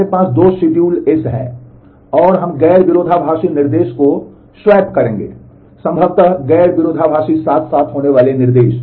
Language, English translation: Hindi, That we have 2 one schedule S, and we will swap non conflicting instruction, possibly since non conflicting instructions that occur side by side